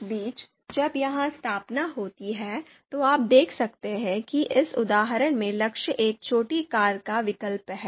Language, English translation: Hindi, So in the meantime while this installation takes place, you can see that in this example in the R script, the goal is choice of a small car